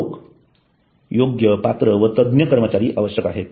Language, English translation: Marathi, People there must be well qualified expert personnel required